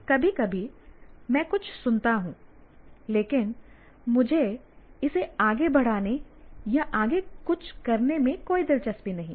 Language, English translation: Hindi, Sometimes I listen to something but I am not interested in pursuing it or doing anything further